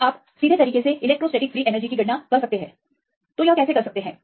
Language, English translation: Hindi, Or you can directly calculate how to calculate directly the electrostatic free energy